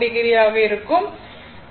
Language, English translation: Tamil, So, it will be 0